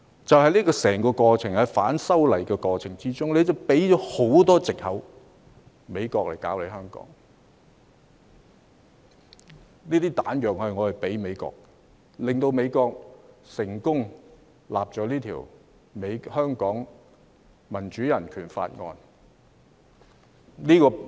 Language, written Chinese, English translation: Cantonese, 在整個反修例的過程中，政府提供了很多藉口讓美國干預香港，這些"彈藥"是我們提供給美國的，令美國得以成功制定《香港人權與民主法案》。, Throughout the entire process against the legislative amendment the Government provided many excuses for the United States to interfere in Hong Kong . Such ammunition was provided to the United States by us . They enabled the United States to formulate the Hong Kong Human Rights and Democracy Act successfully